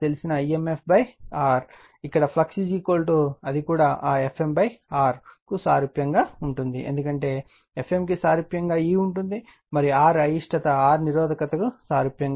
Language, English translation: Telugu, And here flux is equal to also it is analogous to that F m upon R right, because F m is analogous to E and R reluctance R is analogous to resistance